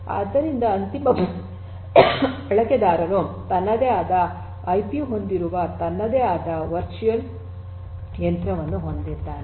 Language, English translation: Kannada, So, the end user has it is own virtual machine which has it is own IP